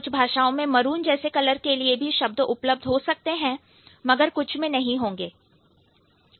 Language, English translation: Hindi, Some languages might have a word for maroon, some languages might not have it